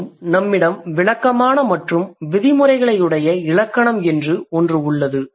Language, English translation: Tamil, More than that we also have something called descriptive and prescriptive grammar